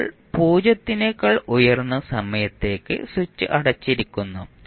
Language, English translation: Malayalam, Now, for time t greater than 0 switch is closed